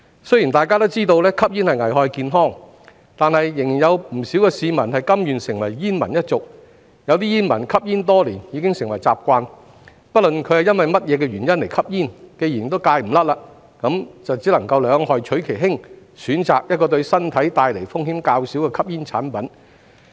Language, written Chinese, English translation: Cantonese, 雖然大家都知道吸煙危害健康，但仍有不少市民甘願成為煙民一族，有些煙民吸煙多年，已成習慣，不論是因為何種原因吸煙，既然戒不掉，就只能兩害取其輕，選擇一個對身體帶來風險較少的吸煙產品。, Although we all know that smoking is hazardous to health many people still choose to become smokers . Some have been smoking for years and it has become their habit . Irrespective of the reason for smoking if one fails to quit one can only choose the lesser of the two evils and select a smoking product which poses less risk to health